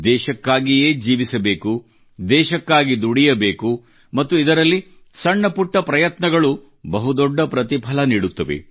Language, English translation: Kannada, We have to live for the country, work for the country…and in that, even the smallest of efforts too produce big results